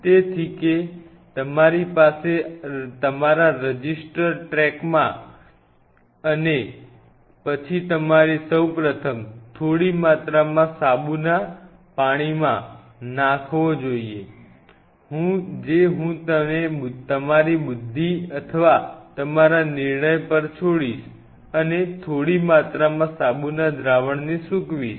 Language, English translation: Gujarati, So, that you have a track in your register and then the first thing you should do you should put them in soap water small amount of soap just I will leave it to your intelligence or to your judgment and a small little soap solution soak them